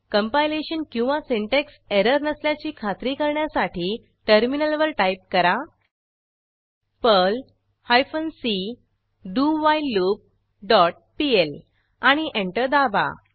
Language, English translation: Marathi, Type the following to check for any compilation or syntax error perl hyphen c whileLoop dot pl and press Enter